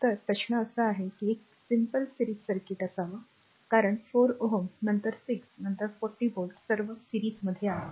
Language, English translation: Marathi, So, question is that here we have to be current is simple series circuit, because 4 ohm, then 6 ohm, then 40 volt all are ah in series